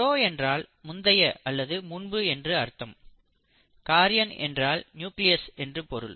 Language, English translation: Tamil, Pro means before, and karyon means nucleus